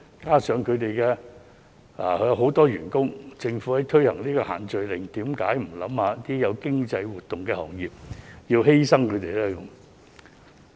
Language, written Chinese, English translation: Cantonese, 這些行業有很多員工，政府在推行限聚令時，有否考慮一下這些是有經濟活動的行業，為何要犧牲他們呢？, There are many employees in these industries . When the Government introduced social gathering restrictions had it considered that these are economically active industries? . Why should they be sacrificed?